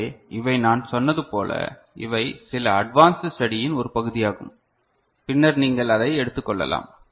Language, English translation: Tamil, So, these are as I said, these are part of some advanced study that you can take up later ok